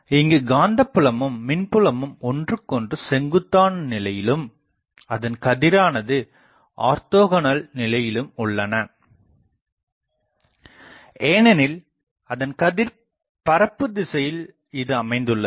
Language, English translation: Tamil, The electric and magnetic fields are mutually perpendicular and orthogonal to the rays because, rays are the direction of propagation